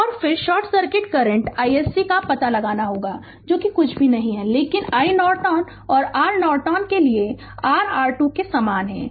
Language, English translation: Hindi, So, and then we have to find out short circuit current i SC that is nothing, but is equal to i Norton and for R Norton is a identical to your R Thevenin same